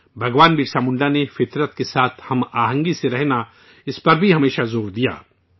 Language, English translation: Urdu, Bhagwan Birsa Munda always emphasized on living in harmony with nature